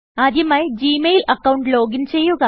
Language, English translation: Malayalam, First, login to the Gmail account